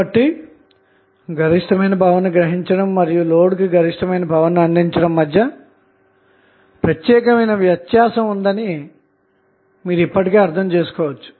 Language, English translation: Telugu, So, you can now understand that there is a distinct difference between drawing maximum power and delivering maximum power to the load